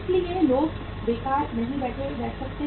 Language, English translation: Hindi, So people cannot sit idle